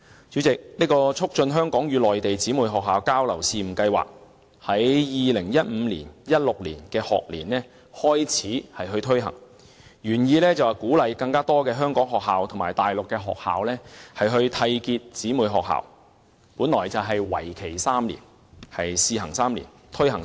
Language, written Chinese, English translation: Cantonese, 主席，這項"促進香港與內地姊妹學校交流試辦計劃"在 2015-2016 學年開始推行，原意是鼓勵更多香港學校與大陸學校締結成為姊妹學校，為期3年，屬試辦性質。, Chairman the three - year Pilot Scheme was first launched for trial in 2015 - 2016 school year with the original intent to encourage more schools in Hong Kong to pair up with their counterparts in the Mainland as sister schools